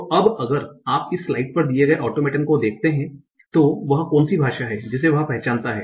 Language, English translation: Hindi, So now if you see the automating that is provided on this slide, what is the language that it that it recognizes